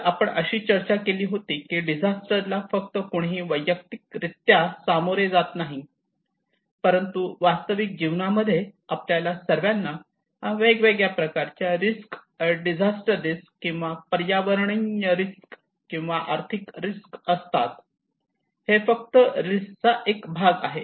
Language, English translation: Marathi, So we discussed that individual does not face only disaster, but in real life we all have different kind of risk, and disaster risk or environmental risk or ecological risk is just one part of that risk